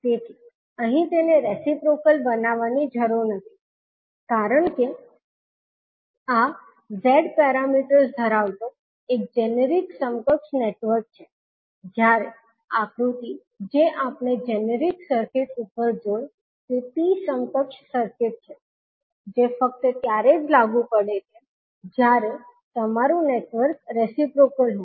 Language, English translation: Gujarati, So, here it need not to be reciprocal because this is a generic equivalent network having Z parameters, while the figure which we saw above the generic circuit is T equivalent circuit which is only applicable when your network is reciprocal